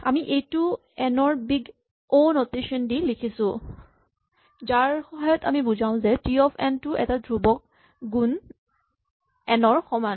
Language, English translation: Assamese, So when you say T of n is big O of n what we mean is that T of n is some constant times n